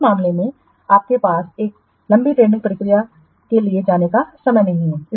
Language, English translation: Hindi, So, in this case you don't have time to go for this lengthy tendering process